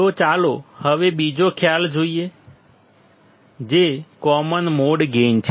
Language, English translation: Gujarati, So, now let us see another concept, which is the common mode gain